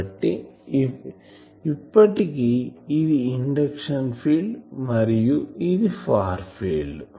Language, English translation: Telugu, So, this is induction field, this is far field